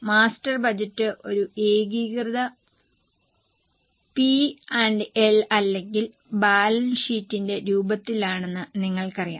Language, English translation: Malayalam, You know that master budget is in a form of a consolidated P&L or a balance sheet